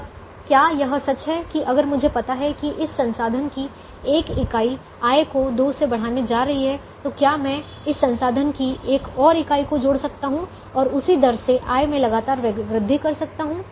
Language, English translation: Hindi, is it true that if i know that one unit of this resource is going to increase the revenue by two, can i keep on adding one more unit of this resource and keep on increasing the revenue at the same rate